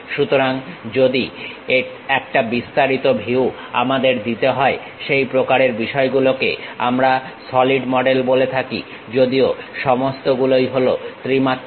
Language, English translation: Bengali, So, a detailed view if we are going to provide such kind of things what we call solid models; though all are three dimensional